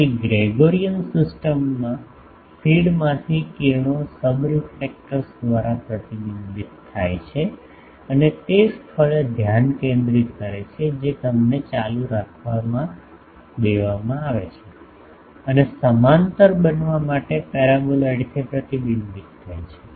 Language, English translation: Gujarati, So, in Gregorian system the rays from feed gets reflected by the sub reflector and gets focused at a point they are allowed to continue and gets reflected from the paraboloid to become parallel ok